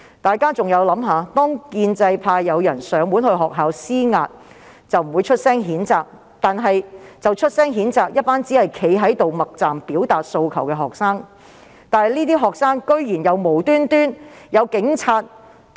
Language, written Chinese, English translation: Cantonese, 大家可以想想，當建制派人士前往學校施壓，局方未有予以譴責，但它卻譴責一群透過默站表達訴求的學生，而這些學生亦遭警察無理毆打。, Members can imagine this The pro - establishment camp who exerted pressure on schools were not condemned by the Bureau while a group of students who expressed their demands by standing in silence were condemned and beaten up by the Police without any cause